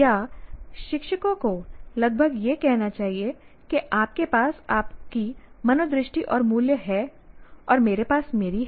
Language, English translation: Hindi, Should the teachers merely say, you have your value or attitude, I have my value and attitude